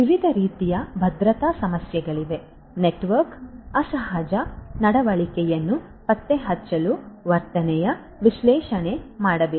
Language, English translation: Kannada, There are different types of security issues; behavioral analytics for detecting abnormal behavior by the network should be done